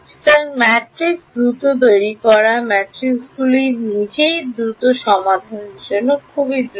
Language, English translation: Bengali, So, to build the matrices fast the matrices itself fast to solve it is also fast